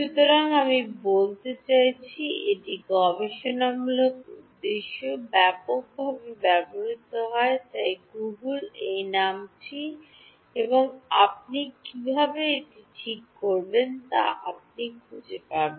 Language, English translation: Bengali, So, I mean it is used extensively for research purposes so just Google this name and you will find out how to do it ok